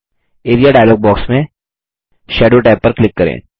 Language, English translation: Hindi, In the Area dialog box, click the Shadow tab